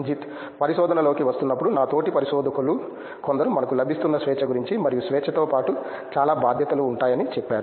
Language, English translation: Telugu, Coming into research, we have some of my fellow researchers has told about the freedom that we are getting and with freedom that it comes a lot of responsibility too